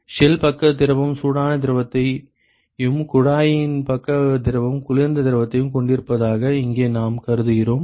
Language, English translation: Tamil, Here we have assumed that the shell side fluid has hot fluid and the tube side fluid has a cold fluid